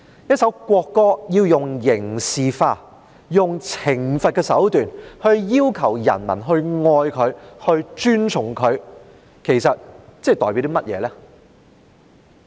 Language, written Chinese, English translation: Cantonese, 一首國歌要用刑事化，用懲罰的手段要求人民愛它、尊崇它，其實這代表甚麼？, When criminalization and punishment are used to make people love and respect a national anthem actually what does it mean?